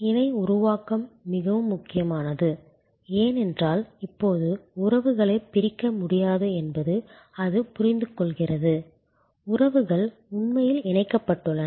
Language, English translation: Tamil, The co creation is very important, because it actually understands that now the relationships cannot be segregated, the relationships are actually quit connected